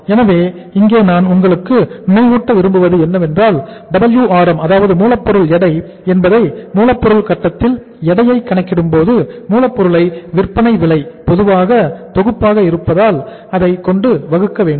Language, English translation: Tamil, So here I would like to remind you that when we calculate the weight at the raw material stage that is Wrm, we take the raw material as uh to be divided by the selling price being a common denominator